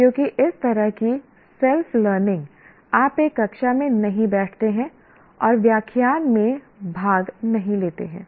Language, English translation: Hindi, Because we are not, this kind of self learning, you are not sitting in a classroom and attending lectures